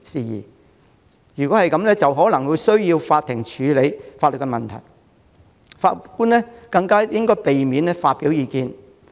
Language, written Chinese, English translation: Cantonese, 所以，就法庭可能需要處理的法律問題，法官應避免發表意見。, Therefore judges should avoid expressing their views on the legal issues that the courts may have to deal with